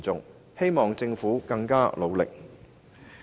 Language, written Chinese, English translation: Cantonese, 我希望政府加倍努力。, I hope the Government can step up its efforts